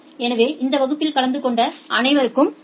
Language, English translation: Tamil, So thank you all for attending this class